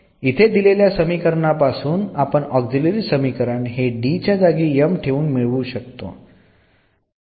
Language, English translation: Marathi, So, the auxiliary equation corresponding to this will be just we can replace this D by m